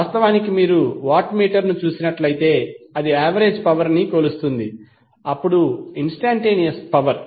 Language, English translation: Telugu, Wattmeter is using is measuring the average power then the instantaneous power